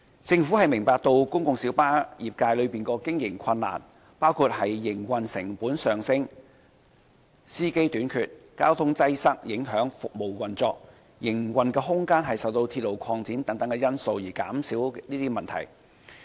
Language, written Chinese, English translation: Cantonese, 政府明白公共小巴業界的經營困難，包括營運成本上升、司機短缺、交通擠塞影響服務運作，以及營運空間受到鐵路擴展等因素而減少等問題。, The Government appreciates the operating difficulties of the public light bus PLB trade including the issues of increase in operational costs shortage of drivers impact on services owing to traffic congestion and reduced room for operation due to railway network expansion and other factors